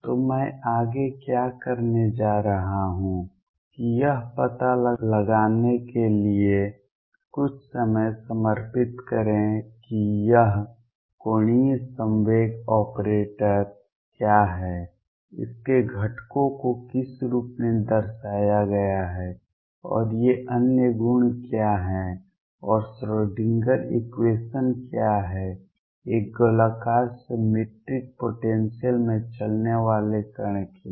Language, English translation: Hindi, So, what I am going to do next is devote some time to find out what this angular momentum operator is what its components are represented as and what are these other properties and what is the Schrodinger equation therefore, for particle moving in a spherically symmetric potential